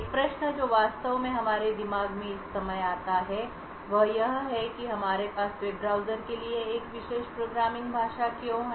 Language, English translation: Hindi, One question that actually comes to our mind at this particular point of time is why do we have a special programming language for web browsers